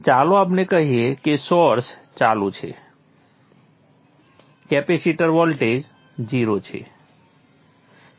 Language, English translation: Gujarati, So let us say the source is turned on, capacity voltage is zero